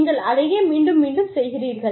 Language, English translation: Tamil, And, you keep doing it, again and again and again